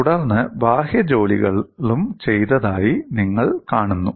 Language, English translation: Malayalam, Then, you also see the external work done